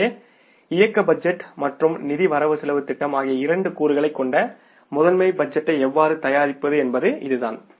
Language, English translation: Tamil, So, this is the process how we can prepare the master budget which has two components, operating budget and then the financial budget